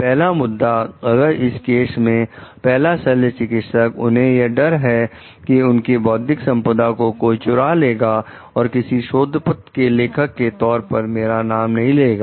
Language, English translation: Hindi, The first person if the first surgeon in this case, if she is afraid like my intellectual property is going to get stolen nobody is going to refer to me as the author